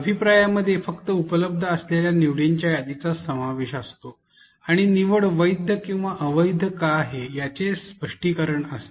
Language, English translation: Marathi, The feedback comprises only of the list of choices which were available and an explanation of why the choices were valid or invalid